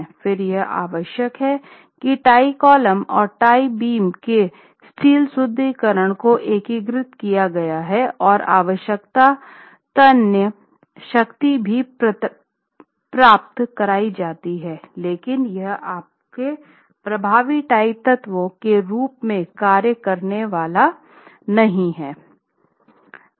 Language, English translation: Hindi, Again, it is required that the steel reinforcement of the tie columns and the tie beams are integrated such that the necessary tensile strength is achieved and that detailing if not provided your tie columns and your tie beams are not going to act as efficient or effective tie elements